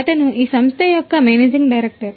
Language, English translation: Telugu, He is the managing director of this company